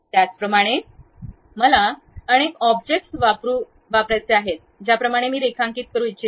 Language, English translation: Marathi, Similarly, I would like to use multiple objects something like a line I would like to draw